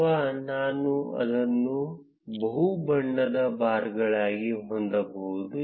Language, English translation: Kannada, Or I can have it as multi colored bars